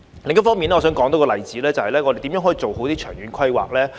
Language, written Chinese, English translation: Cantonese, 另一方面，我想多說一個例子，那是有關我們如何做好長遠規劃。, In addition I wish to give one more example about how we should make proper long - term planning